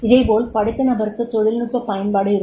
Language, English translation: Tamil, Similarly, an educated person will be having the technical application